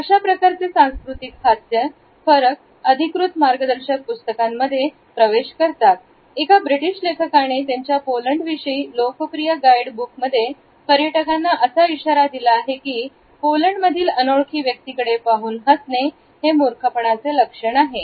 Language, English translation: Marathi, These cultural differences of understanding have seeped into some official guide books and British authors of a popular guidebook about Poland have warn tourists that is smiling at strangers in Poland is perceived is a sign of stupidity